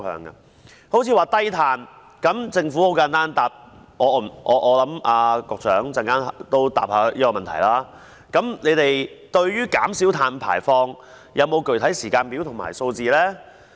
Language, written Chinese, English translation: Cantonese, 例如，低碳方面，政府可以簡單回答或局長稍後可以回答，對於減少碳排放是否有具體時間表及數字？, For example regarding the concept of low carbon the Government can give a brief reply or the Secretary can tell us later whether there is a specific timetable and target for reducing carbon emissions